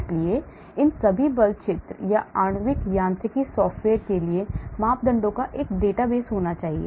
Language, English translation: Hindi, so all these force field or molecular mechanics software need to have a database of parameters